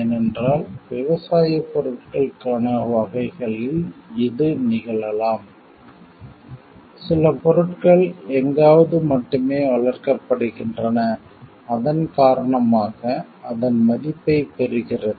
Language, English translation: Tamil, Because it may so happen especially in kinds for agricultural products like certain things are only grown somewhere and it gets his value due to that